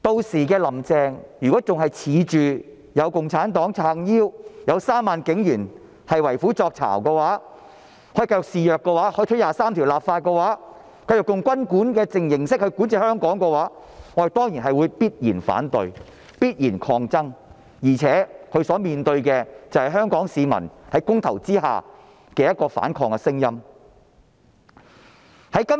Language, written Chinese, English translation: Cantonese, 如果"林鄭"屆時仍然自恃有共產黨撐腰，有3萬警員為虎作倀，以為這樣便可以繼續肆虐，可以推行二十三條立法，繼續用軍管的形式管治香港，我們必然會反對及抗爭，而且她還要面對香港市民在公投中發出的反抗聲音。, When the time comes if Carrie LAM still relies on the Communist Party and her 30 000 - strong police force thinking that she can continue to do things in her way proceed with the legislation exercise of Article 23 and continue to govern Hong Kong in the form of military administration we definitely would put up resistance and fight back . Besides she will also be facing the opposing voice of the Hong Kong people as reflected in the election results